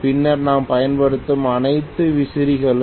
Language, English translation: Tamil, Then all the fans that we use